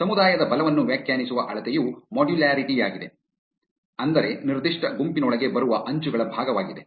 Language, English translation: Kannada, The measure to define the strength of a community is modularity, which means the fraction of edges that fall within the given group